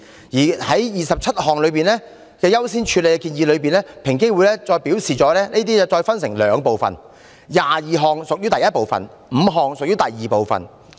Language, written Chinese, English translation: Cantonese, 就這些優先建議，平機會再分為兩部分 ：22 項屬於第一部分 ，5 項屬於第二部分。, EOC then divided the prioritized recommendations into two parts with 22 recommendations belonging to Part I and five belonging to Part II